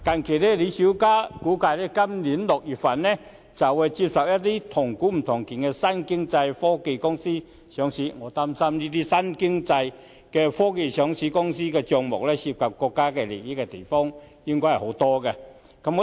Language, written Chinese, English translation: Cantonese, 據李小加估計，香港自今年6月起會接受"同股不同權"的新經濟科技公司上市，我擔心該等公司的帳目有很大部分涉及國家機密資料。, As projected by Charles LI Hong Kong will accept the listing of new economy and technology companies with a weighted voting right structure beginning from June this year . I am concerned that a large portion of such companies accounts may involve state secrets